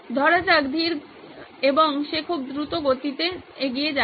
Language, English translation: Bengali, Let’s say slow and she is going very fast